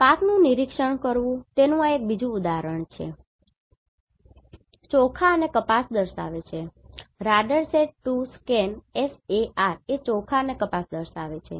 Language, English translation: Gujarati, Crop monitoring another this is one example from Radarsat 2 Scan SAR data showing a rice and cotton